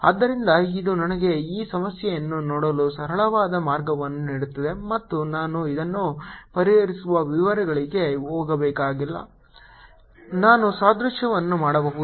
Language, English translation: Kannada, so this gives me a very simple way of looking at this problem and i don't have to go into the details of solving this